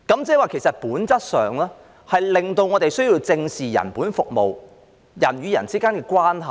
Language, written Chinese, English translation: Cantonese, 即是其實本質上，令我們需要正視人本服務、人與人之間的關係。, In fact it is essentially necessary for us to face up to the need of providing people - oriented services and the need of maintaining inter - personal relationships